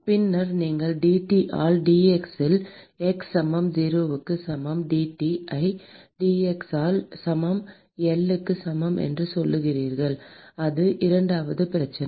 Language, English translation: Tamil, And then you say dT by dx at x equal to 0 equal to dT by dx at x equal to L equal to 0 that is the second problem